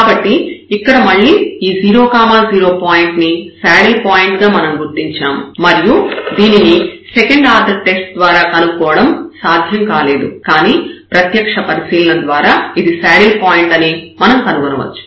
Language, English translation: Telugu, So, again we were able to identify this point here the 0 0 point and this comes to be the saddle point and which was not possible with the second order test, but the direct observation we can find that this is a saddle point